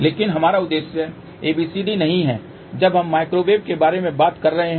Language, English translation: Hindi, But our objective is not ABCD when we are talking about microwave